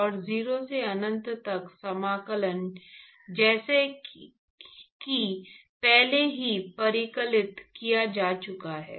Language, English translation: Hindi, And 0 to infinity integral as has already been calculated